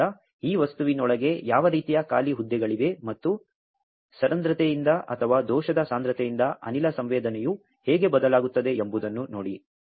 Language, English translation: Kannada, So, see what kind of vacancies are there in inside this material and how the gas sensing is changed by porosity or, by defect concentration